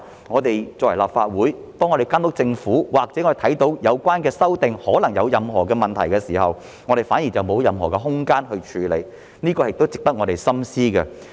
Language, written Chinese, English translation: Cantonese, 我們作為立法會議員監督政府，當看到有關的修訂可能有任何問題的時候，卻沒有任何空間處理，這亦是值得我們深思的。, We as Legislative Council Members monitor the Government . When we find any problems with the amendments but have no scope for dealing with them this is also something worth our contemplation